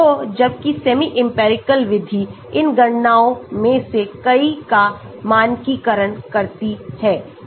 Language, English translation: Hindi, so whereas semi empirical method, parameterises many of these calculations